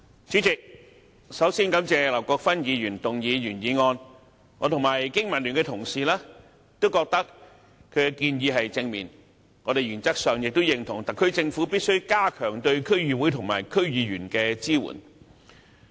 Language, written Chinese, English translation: Cantonese, 主席，首先感謝劉國勳議員提出原議案，我和香港經濟民生聯盟的同事都覺得其建議正面，我們原則上亦認同特區政府必須加強對區議會和區議員的支援。, President first of all I thank Mr LAU Kwok - fan for proposing the original motion . Colleagues from the Business and Professionals Alliance for Hong Kong BPA and I consider that its proposals are positive . We agree in principle that the Government should enhance the support to District Councils DCs and DC members